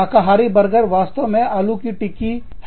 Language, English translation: Hindi, The veggie burger, is actually a potato patty